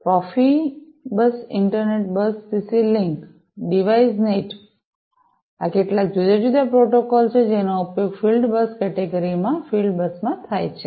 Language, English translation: Gujarati, Profibus inter bus CC link, Device Net; these are some of the different protocols that are used in the field bus in the field bus category